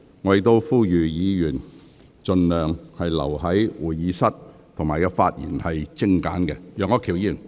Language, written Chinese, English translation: Cantonese, 我亦呼籲議員盡量留在會議廳，並精簡發言。, I also call on Members to stay in the Chamber by all means and keep the speeches concise